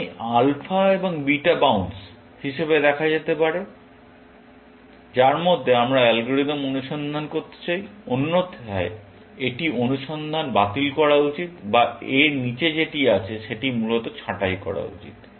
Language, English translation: Bengali, So, this alpha and beta can be seen as the bounce, within which, we want the algorithm to search; otherwise, it should abort the search or prune that below that, essentially